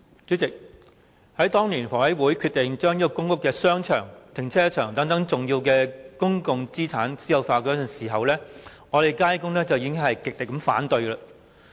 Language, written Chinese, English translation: Cantonese, 主席，當年香港房屋委員會決定將商場、停車場等重要的公共資產私有化時，我們街工已經極力反對。, President when the Hong Kong Housing Authority HA made the decision to privatize important public assets such as shopping arcades car parks and so on we in the Neighbourhood and Workers Services Centre staunchly opposed it